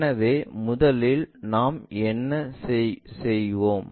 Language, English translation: Tamil, So, first what we will do